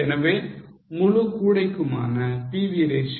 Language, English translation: Tamil, So, for the whole basket the PV ratio is 0